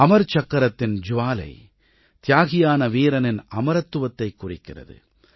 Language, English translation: Tamil, The flame of the Amar Chakra symbolizes the immortality of the martyred soldier